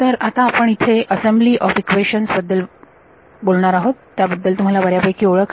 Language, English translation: Marathi, So, here is where we discuss the assembly of equations you are all familiar with this